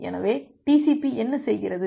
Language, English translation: Tamil, So, what TCP does